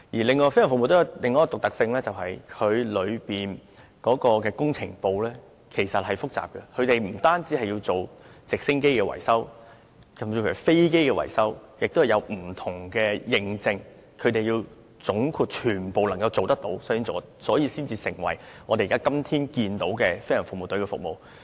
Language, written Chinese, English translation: Cantonese, 此外，飛行服務隊有另一個獨特性是，其工程部是複雜的，他們不止要懂得維修直升機，甚至還要維修飛機，也需擁有不同認證，他們要總括地全部也能做到，所以才會成為今天的飛行服務隊，為大眾服務。, Besides another unique feature of GFS is that its engineering department possesses highly complex skills . They must have knowledge of not only helicopter repairs but also aircraft repairs and various types of certifications are required . They must be generally capable in all these aspects and that is what makes GFS able to serve the public